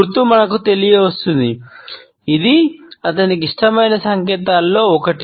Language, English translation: Telugu, Sign is letting us know, this is one of his favorite signs